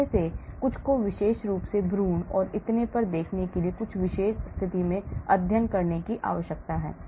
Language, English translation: Hindi, And some of them needs to be studied in very specialized condition to look specifically looking at embryo and so on actually